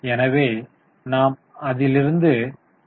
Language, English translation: Tamil, So, you are getting it 5